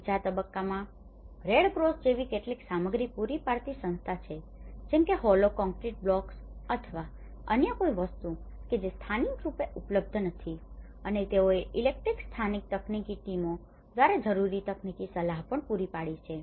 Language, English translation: Gujarati, In the stage two, there are associations the Red Cross supplied some materials, like for example in terms of hollow concrete blocks or any other which are not locally available and it also have provided the necessary technical advice through the electric local technical teams